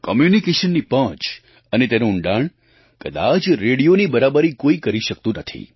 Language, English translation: Gujarati, In terms of the reach & depth of communication, radio has been incomparable